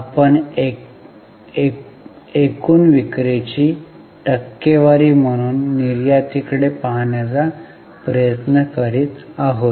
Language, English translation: Marathi, We are trying to look at the export as a percentage of total sales